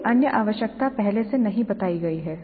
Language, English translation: Hindi, No other requirements are stated upfront